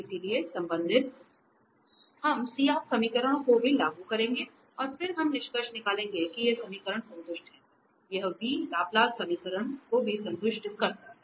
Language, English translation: Hindi, So, concerning we also we will apply the CR equations and then we will conclude that these equations are satisfied, this v also satisfy the Laplace equation